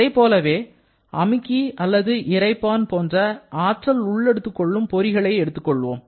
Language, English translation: Tamil, Similarly, when we are talking about energy absorbing device like a compressor or a pump